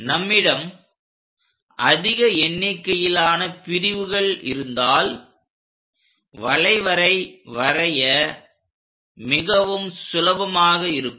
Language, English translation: Tamil, If we have more number of divisions, the curve will be very smooth to draw it